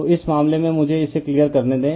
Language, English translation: Hindi, So, in this case, you are just let me clear it